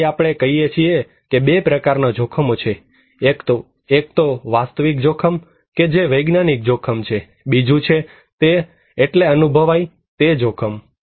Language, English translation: Gujarati, So, we are saying that there are 2 kind of risk; one is objective risk that is scientific risk; another one is the perceived risk